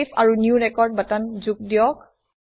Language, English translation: Assamese, Add Save and New record buttons